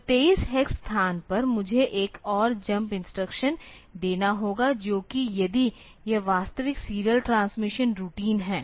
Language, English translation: Hindi, So, at location 23 hex, I have to put another jump instruction which will, if this is the actual serial transmission routine